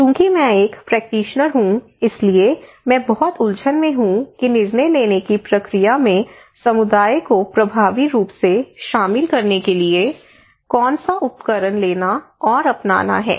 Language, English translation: Hindi, When I am a practitioner, I am very confused which tool to take which tool to adopt in order to effectively involve community into the decision making process, I do not know